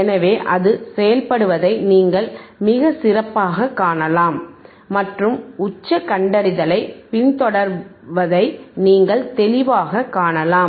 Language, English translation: Tamil, So, you can see it is working excellently and you can clearly see the follow of the peak detection